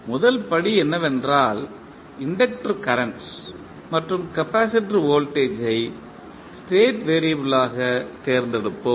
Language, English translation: Tamil, We will first select inductor current i and capacitor voltage v as the state variables